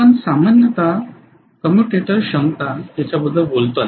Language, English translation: Marathi, We generally talk about it in terms of commutator capacity